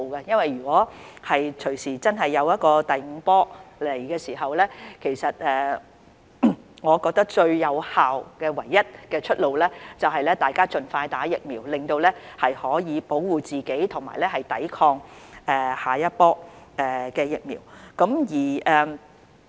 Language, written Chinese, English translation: Cantonese, 如果真的出現第五波，我覺得最有效及唯一的出路，就是大家盡快接種疫苗，以保護自己及抵抗下一波疫情。, If the fifth wave of the epidemic does strike I feel that the one and only most effective way out is for everyone to get vaccinated soon enough to protect themselves and fight against the next wave of the epidemic